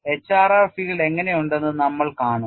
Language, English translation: Malayalam, And we would see how the HRR field looks like